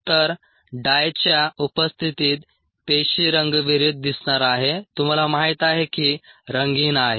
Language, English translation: Marathi, so in the presence of dye the cell is go into appear un dye, it you know, uncoloured ah